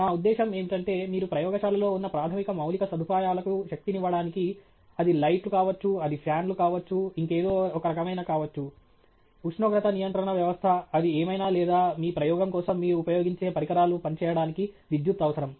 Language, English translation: Telugu, I mean any lab you go to, at least to power the basic infrastructure that is there in the lab it could be lights, it could be fans, it could be some kind of, you know, temperature control system, whatever it is or to even just power equipment that you use for your experiment, you are going to need electricity